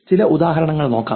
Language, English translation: Malayalam, Here are some examples